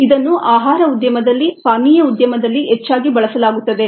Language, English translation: Kannada, this is also used heavily in the industry, in the food industry industry